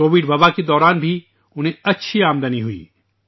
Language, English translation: Urdu, They had good income even during the Covid pandemic